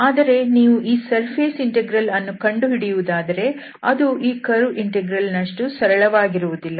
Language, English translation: Kannada, But if you want to compute over this surface integral, then this will not be that simple as we have seen this curve integral